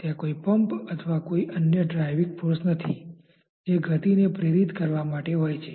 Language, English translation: Gujarati, It is not that there is a pump that is being put or there is no other driving force that has been created to induce the motion